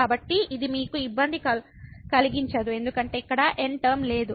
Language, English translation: Telugu, So, this will not disturb because there is no term here